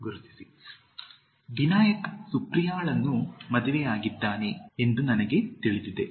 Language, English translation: Kannada, 4) I just got to know that Binayak has married with Supriya